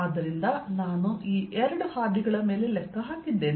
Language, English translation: Kannada, so i have calculated over these two paths